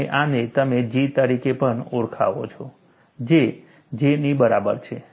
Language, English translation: Gujarati, And this, you call it as G, which is also equal to J